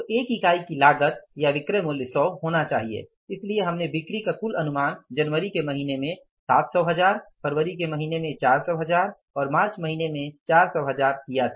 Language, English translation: Hindi, So we had the total estimation of the sales to the tune of 700,000s in the month of January, 400,000s in the month of February and 400,000s in the month of March